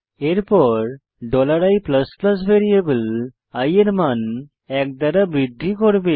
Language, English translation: Bengali, Then the $i++ will increments the value of variable i by one